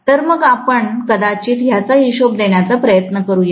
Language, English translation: Marathi, So let’s probably try to account for it, okay